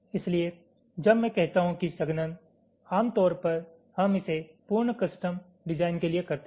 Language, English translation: Hindi, so when i say compaction generally, we do it for full custom design